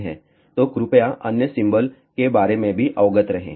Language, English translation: Hindi, So, please be aware about the other symbol also